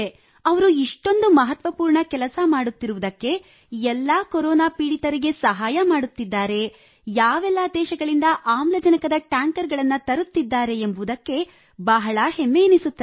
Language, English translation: Kannada, Feel very proud that he is doing all this important work, helping so many people suffering from corona and bringing oxygen tankers and containers from so many countries